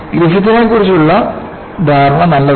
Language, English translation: Malayalam, The understanding of Griffith is good